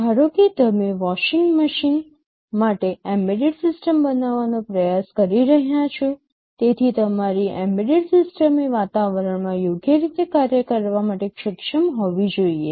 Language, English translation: Gujarati, Suppose, you are trying to build an embedded system for a washing machine, so your embedded system should be able to function properly in that environment